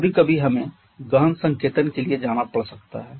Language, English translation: Hindi, Sometimes we may have to go for an intensive notation in that case